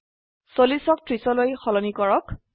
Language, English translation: Assamese, Change 40 to 30